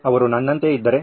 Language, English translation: Kannada, What if they are like me